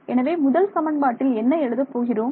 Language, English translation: Tamil, So, the first equation what we write for our first equation